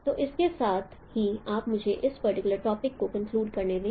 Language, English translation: Hindi, So with this, let me conclude this particular topic here